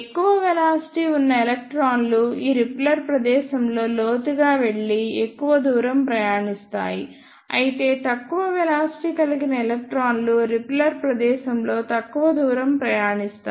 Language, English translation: Telugu, The electrons which has greater velocities will go deeper in this repeller space and travel more distance, whereas the electrons which has lesser velocities will travel less distance in the repeller space